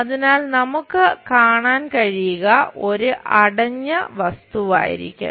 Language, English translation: Malayalam, So, it should be a closed object we are supposed to see